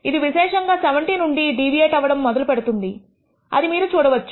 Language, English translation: Telugu, It starts deviating from 70 you see more significantly